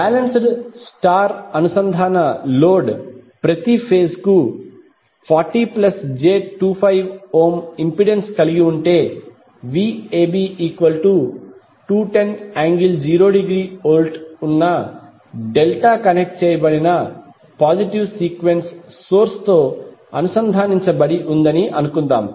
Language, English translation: Telugu, Suppose if balanced star connected load is having impedance of 40 plus j25 ohm per phase is connected to delta connected positive sequence source having Vab equal to 210 angle 0 degree